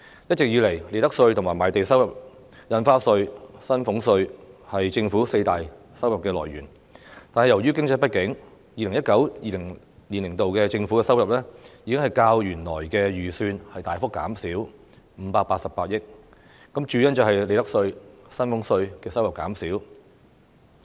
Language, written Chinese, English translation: Cantonese, 一直以來，利得稅、賣地收入、印花稅和薪俸稅是政府四大收入來源，但由於經濟不景 ，2019-2020 年度的政府收入已較原來預算大幅減少588億元，主因是利得稅和薪俸稅的收入減少。, Profits tax land premium stamp duty and salaries tax have all along been the four major sources of government revenue . Due to economic downturn government revenue in 2019 - 2020 has significantly reduced by 58.8 billion when compared with the original estimates . The reduction is mainly attributed to a decrease in revenues from profits tax and salaries tax